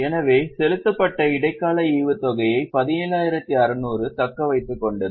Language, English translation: Tamil, So, retain earnings 17,600 to that add interim dividend paid